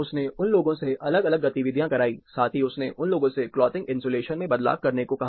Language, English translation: Hindi, He made them 2 different activities, plus, he asked them to vary the clothing insulation